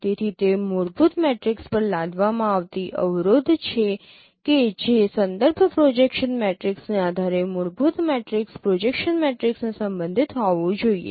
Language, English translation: Gujarati, So that is a constraint imposed on a fundamental matrix that no given that fundamental matrix projection matrices should be related given any reference projection matrix